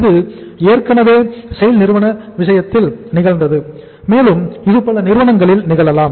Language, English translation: Tamil, It has already happened in case of SAIL and it can happen in many other companies